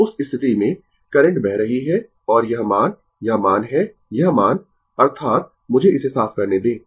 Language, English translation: Hindi, So, in that case, the current is flowing and this value, this value is the this value; that means, let me clear it